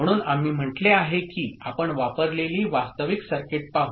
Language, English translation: Marathi, So, we said that we shall look at the actual circuit that are used ok